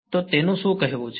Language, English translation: Gujarati, So, what is its saying